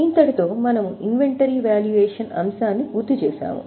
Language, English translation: Telugu, So, with this we complete this topic on inventory valuation